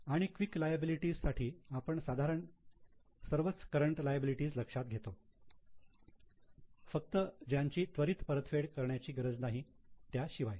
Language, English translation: Marathi, And for quick liabilities, we consider almost all current liabilities except those which don't have to be repaid immediately